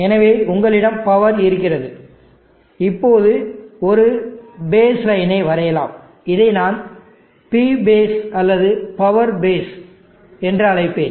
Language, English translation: Tamil, So you have the power, now let me draw a base line and I will call this as P base or power base the base power